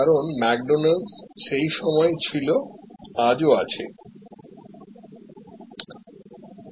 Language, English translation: Bengali, Because, McDonald's was at that time remains today